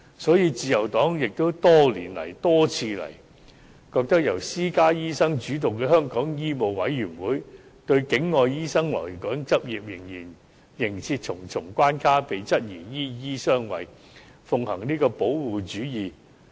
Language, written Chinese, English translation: Cantonese, 所以，自由黨多年來多番指出，由私家醫生主導的香港醫務委員會對境外醫生來港執業仍設重重關卡，這被質疑是"醫醫相衞"和奉行保護主義。, So as pointed out by the Liberal Party many times over all these years the Medical Council of Hong Kong dominated by private doctors has come under the query of doctors harbouring doctors and upholding protectionism as it has still imposed various obstacles on overseas doctors who wish to practise in Hong Kong